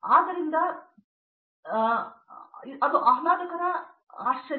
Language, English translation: Kannada, So, that is the pleasant surprise